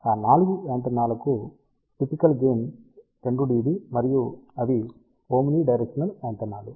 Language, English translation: Telugu, For all those 4 antennas typical gain is of the order of 2 dB and they are omnidirectional antenna